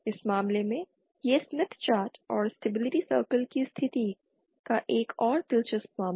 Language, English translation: Hindi, In this case, this is another interesting case of the position of the smith chart and stability circle